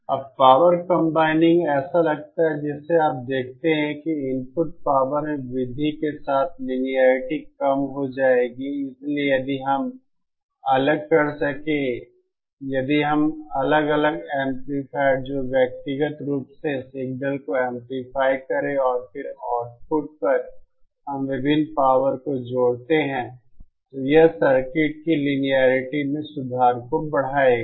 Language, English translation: Hindi, Now power combining seems as you see that the linearity will decrease with increase in input power, so if we could separate, if we could have individual amplifiers which which will individually amplify the signal, and then at the output we combine the various powers and that would increase the improve the linearity of the circuit